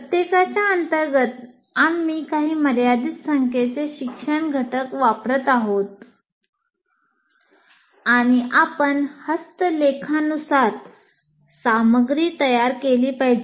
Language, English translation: Marathi, Under each one we are using some limited number of instructional components and you have to prepare material according to that